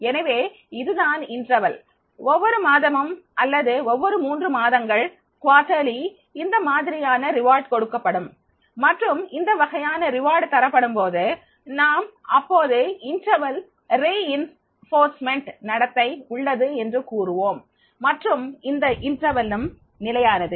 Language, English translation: Tamil, So, this will be the with the interval with the every one month or every three months quarterly, this type of the rewards will be given and then if this type of rewards are given then we will say that it is the interval reinforcement behavior is there and this interval is also fixed